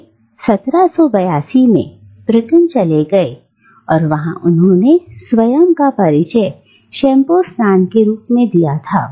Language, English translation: Hindi, And he migrated to Britain in 1782, and there he introduced what he referred to as shampoo baths